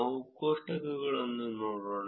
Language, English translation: Kannada, Let us look at the tables